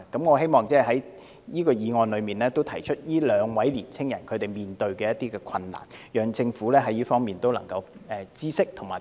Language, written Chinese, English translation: Cantonese, 我希望藉着討論這項議案，提出這兩位青年人所面對的困難讓政府知道，並提供協助。, I hope that the discussion of this motion can draw the Governments attention to the difficulties faced by those two young people and then provide the necessary assistance